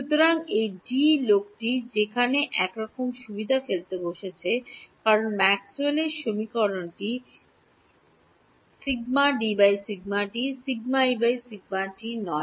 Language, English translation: Bengali, So, this D guy is sort of inconvenient fellow sitting there because Maxwell’s equations is dD by dt not de by dt